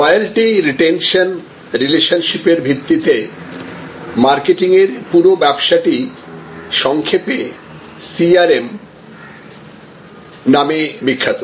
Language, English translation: Bengali, So, this whole business of a loyalty retention relationship based marketing is generally famous by this acronym CRM Customer Relationship Management